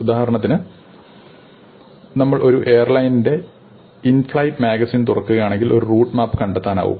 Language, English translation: Malayalam, For example, if we open the in flight magazine of an airline, you find a route map